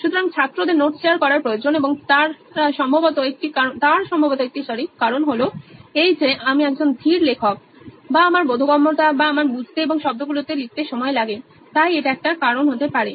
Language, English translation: Bengali, So one reason why students need to share notes is probably because I am a slow writer or my understanding or it takes time for me to comprehend and put it down to words, so that might be one reason